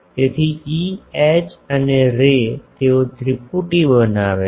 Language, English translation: Gujarati, So, E H and the ray they form a triplet etc